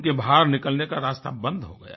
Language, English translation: Hindi, Their exit was completely blocked